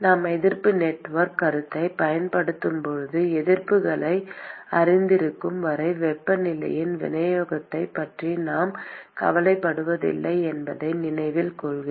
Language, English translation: Tamil, So, note that when we use the resistance network concept, we did not care about the distribution of the temperature as long as we know the resistances